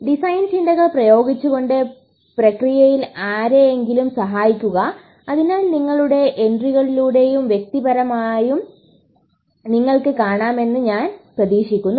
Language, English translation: Malayalam, Help somebody in the process by applying design thinking, so I hope to see you through your entries and probably in person as well